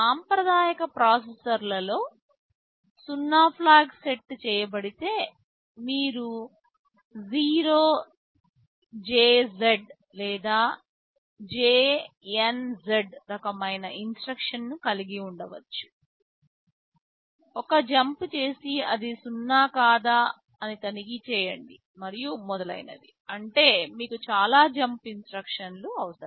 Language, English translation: Telugu, Well Iinn conventional processors if the 0 flag is set you can have a jump if 0 jump if non 0 zeroJZ or JNZ kind of instructions, you do a jump then check if it is not 0, then add a draw is do not addand so on; that means, you need so many jump instructions